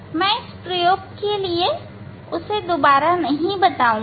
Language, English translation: Hindi, I will not repeat for these experiments